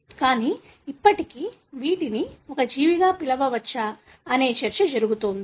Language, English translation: Telugu, But, still there is a debate whether these can be called as a living organism